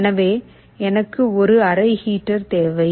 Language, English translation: Tamil, So, I need a room heater